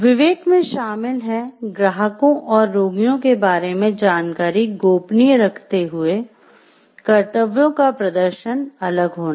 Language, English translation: Hindi, Discretion involves being discrete in the performance of one’s duties by keeping information about customers, clients and patients, confidential